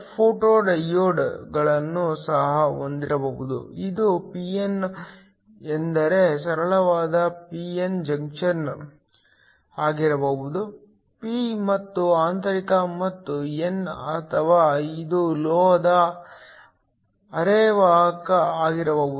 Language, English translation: Kannada, Could also have photo diodes, this could be a simple p n junction a pin stands for, a p and intrinsic and n or it could be a metal semiconductor